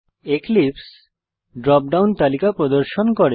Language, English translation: Bengali, Notice that Eclipse displays a drop down list